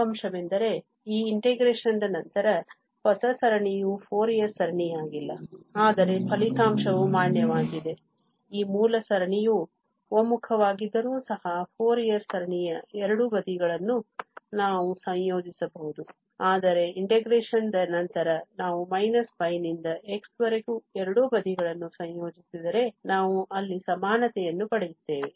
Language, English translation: Kannada, But the result is valid that we can integrate both the sides of the Fourier series, even though this original series may not converge but after integration we get equality there, if we integrate both the sides from minus pi to x